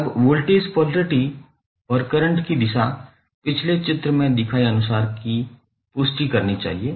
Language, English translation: Hindi, Now, the voltage polarity and current direction should confirm to those shown in the previous figure